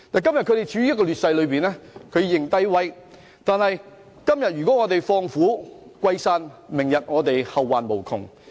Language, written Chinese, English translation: Cantonese, 他們今天處於劣勢，便要"認低威"；如果我們今天放虎歸山，明日就會後患無窮。, They need to admit defeat for being in a disadvantageous position today . If we release the tiger into the wild today there will be endless troubles in the future